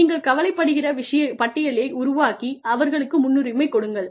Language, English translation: Tamil, Make a list of the things, that you are worried about, and prioritize them